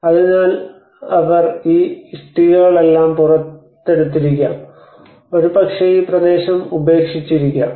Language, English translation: Malayalam, So they might have taken all these bricks and taken out, and probably this area might have got abandoned